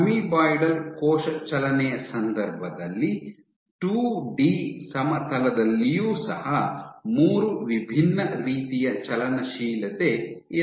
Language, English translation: Kannada, There are in case of amoeboid cell motility there are even on a 2D plane you can have 3 different types of motility